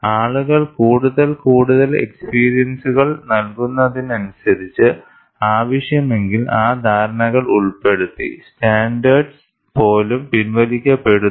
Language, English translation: Malayalam, People, as more and more experience pour in, those understandings are incorporated, if necessary, even the standard is withdrawn